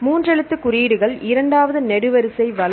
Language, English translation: Tamil, Three letter codes second column right